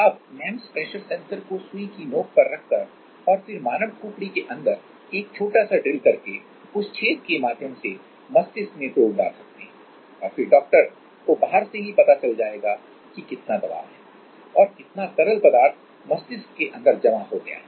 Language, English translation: Hindi, So, in on tip of a needle you can put this sensor’s and then can drill a small inside the human skull and then you can put probe through that hole, and then the doctor will know from outside that how much is the pressure reading or how much fluid has build up inside the brain